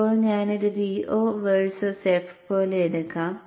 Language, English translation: Malayalam, Now let me take this up like that V0 versus F